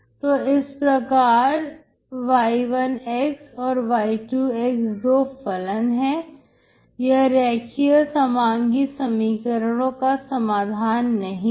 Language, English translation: Hindi, So these y1, and y2 are two functions, they are not solutions of the linear homogeneous equations